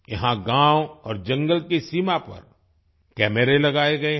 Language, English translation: Hindi, Here cameras have been installed on the border of the villages and the forest